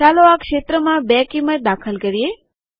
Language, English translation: Gujarati, Let us enter the value 2 in the field